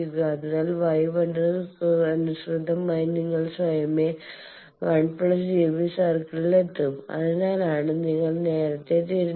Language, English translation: Malayalam, So, corresponding to Y 1 and you will automatically reach 1 plus J B circle that is why you have rotated earlier